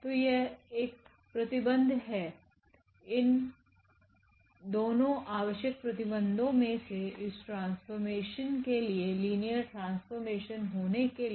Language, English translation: Hindi, So, that is one conditions for out of these 2 conditions this is one which is required to say that this is a linear transformation